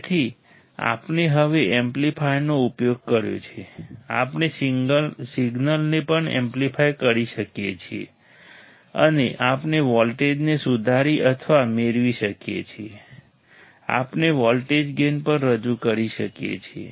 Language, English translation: Gujarati, So, because we have now used the amplifier, we can also amplify the signal and we can also improve or gain the voltage, we can also introduce the voltage gain